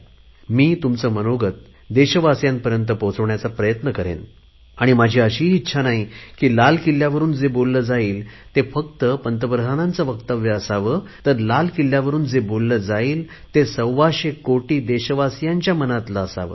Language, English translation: Marathi, I do not wish that whatever I speak from the ramparts of Red Fort should just be the opinion of the Prime Minister; it should be the collective voice of 125 crores countrymen